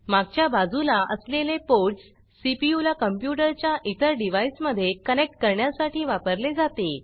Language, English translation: Marathi, The ports at the back, are used for connecting the CPU to the other devices of the computer